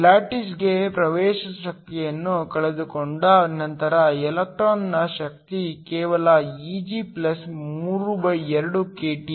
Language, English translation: Kannada, The energy of the electron after losing the access energy to the lattice is just Eg+32kT